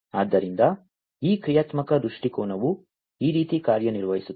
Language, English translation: Kannada, So, this is how this functional viewpoint works